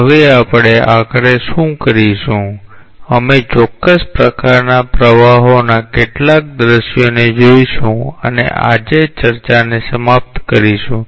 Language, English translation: Gujarati, Now, what we will do finally, we will look into some visual demonstration of certain types of flows and end up the discussion today